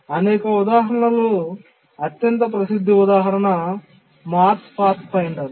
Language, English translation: Telugu, Out of these many examples, possibly the most celebrated example is the Mars Pathfinder